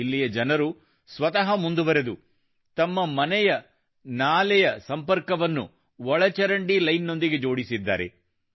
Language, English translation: Kannada, The citizens here themselves have come forward and connected their drains with the sewer line